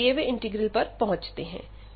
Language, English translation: Hindi, So, with this now we can approach to the given integral